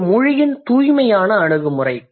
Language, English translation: Tamil, So, this is the purest approach of language